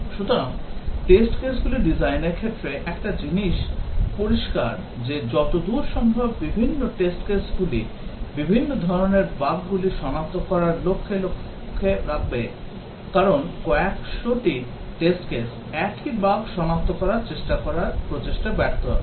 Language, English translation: Bengali, So, in designing test cases, one thing is clear that as far as possible the different test cases so target to detect different types of bugs, because hundreds of test cases, trying to detect the same bug will be a waste of effort